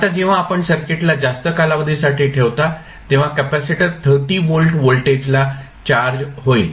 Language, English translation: Marathi, Now, when you keep the circuit like this for a longer duration, the capacitor will be charged with the voltage v which is 30 volt